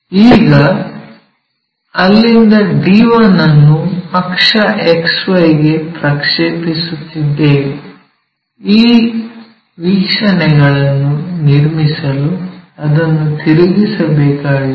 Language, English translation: Kannada, Now, we have projected d 1 onto axis XY from there we have to rotate it to construct this views